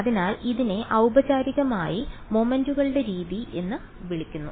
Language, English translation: Malayalam, So, this is formally called the method of moments straight forward